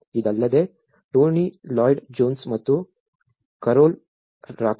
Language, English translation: Kannada, Apart from this, Tony Lloyd Jones and Carole Rakodi